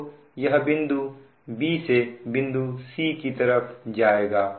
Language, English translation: Hindi, so this, this will start from point b to point c